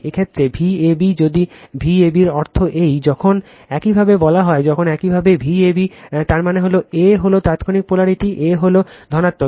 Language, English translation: Bengali, In this case V a b right if V a b means this, when you say when you say V a b that means, a is instantaneous polarity, a is positive right